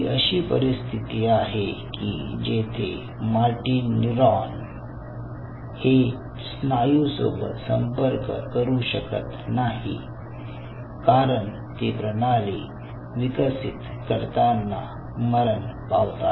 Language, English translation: Marathi, that is, a situation when martin neuron is unable to communicate with the muscle because they die out, to create a system, how you can do it